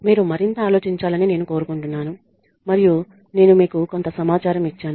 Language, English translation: Telugu, I want you to think more and I have given you a little bit of information